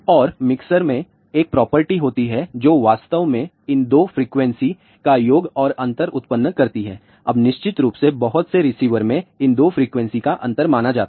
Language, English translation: Hindi, And the mixer has a property that it actually generates sum and difference of these 2 frequencies, now of course, in majority of their receivers it is only the difference of these 2 frequencies which is considered